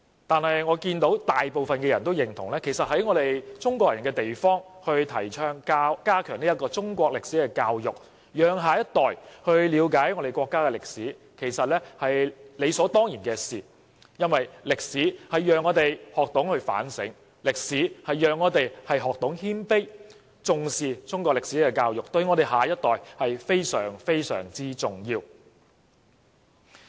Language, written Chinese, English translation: Cantonese, 據我所見，大部分人均認同在中國人的地方提倡加強中國歷史教育，讓下一代了解我們國家的歷史，這是理所當然不過，因為歷史讓我們學懂反省，歷史讓我們學懂謙卑，重視中國歷史教育對下一代非常、非常重要。, As far as I can see most people agree that Chinese history education should be strengthened in the Chinese territory so that our next generation can fully understand Chinese history . This is right and proper because through history we can reflect on ourselves and learn how to be humble . Attaching importance to Chinese history education is of paramount importance to our next generation